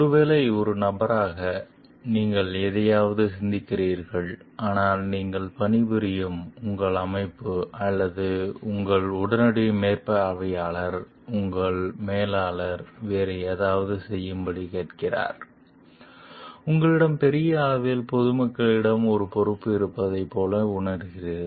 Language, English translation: Tamil, Maybe as a person, you are thinking something, but your organization that you are working for or your immediate supervisor, your manager is asking you to do something different, you feel like you have a responsibility towards the public at large